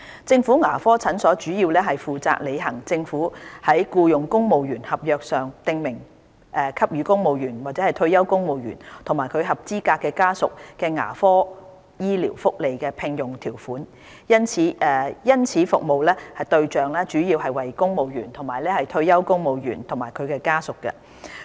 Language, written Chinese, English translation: Cantonese, 政府牙科診所主要是負責履行政府在僱用公務員合約上，訂明給予公務員/退休公務員及其合資格家屬的牙科醫療福利的聘用條款，因此服務對象主要為公務員/退休公務員及其家屬。, Government dental clinics are mainly responsible for providing dental benefits for civil servantspensioners and their eligible dependents as required of the Government as terms of employment for civil servants and therefore civil servantspensioners and their eligible dependents are the major service targets of these clinics